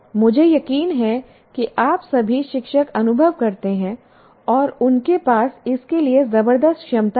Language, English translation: Hindi, I'm sure you all teachers do experience that they have tremendous capacity for that